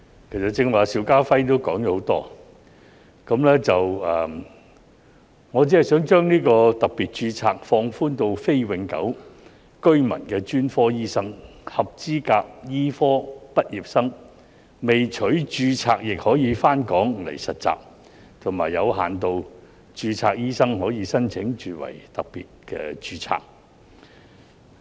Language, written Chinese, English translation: Cantonese, 其實剛才邵家輝議員也說了很多，我只想把特別註冊放寬至非永久性居民的專科醫生、合資格醫科畢業生未取註冊亦可回港實習，以及有限度註冊醫生可申請轉為特別註冊。, Since Mr SHIU Ka - fai has also said a lot about it just now I only want to have the special registration scheme extended to specialist doctors who are non - permanent residents allow eligible medical graduates who have not been registered to undergo internship in Hong Kong and allow medical practitioners with limited registration to switch to special registration doctors